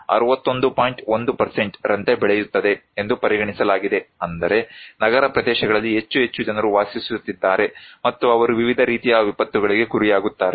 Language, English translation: Kannada, 1% that means more and more people are living in urban areas and they are exposed to various kind of disasters